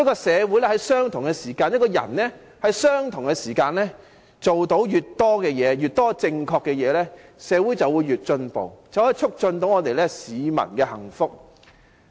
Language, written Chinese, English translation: Cantonese, 社會和人們在相同的時間內做到越多正確的事情，社會便會越進步，便可促進市民的幸福。, The more right things that society and the people do in the same given time the more advanced society will be and hence the well - being of the people can be promoted